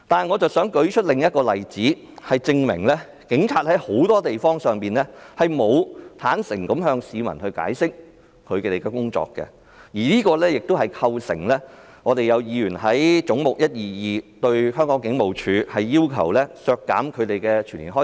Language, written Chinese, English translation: Cantonese, 我想舉出另一個例子，說明警察很多時候未能向市民解釋他們的工作，所以，有議員要求削減"總目 122— 香港警務處"下全年的薪酬開支。, I would like to give another example to illustrate that the Police often fail to explain to the public details of their work . Hence some Members proposed to reduce the expenditures on their salaries for the whole year under Head 122―Hong Kong Police Force